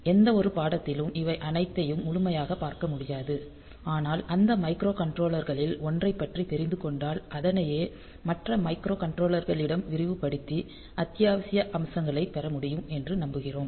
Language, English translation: Tamil, So, it is not possible to cover all of them in any course, but anyway so hope that if you get exposed to 1 of those microcontrollers then you can extrapolate those ideas to other microcontrollers and get the essential features there